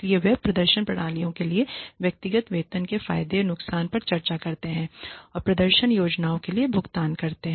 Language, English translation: Hindi, So, they just discuss the advantages and disadvantages of individual pay for performance systems and pay for performance plans